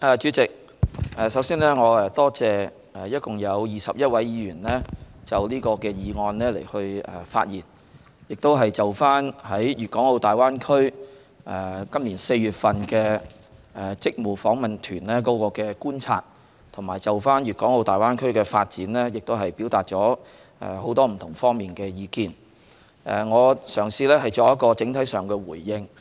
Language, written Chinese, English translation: Cantonese, 主席，我首先感謝共21位議員在此議案辯論發言，就今年4月的粵港澳大灣區職務訪問團作出觀察，並對粵港澳大灣區發展表達很多不同方面的意見。我嘗試作一個整體的回應。, President first of all I would like to thank a total of 21 Members who have spoken in this motion debate and expressed their views in many different areas on the observations of the joint - Panel delegation in its duty visit to the Guangdong - Hong Kong - Macao Greater Bay Area in April this year and on the development of the Greater Bay Area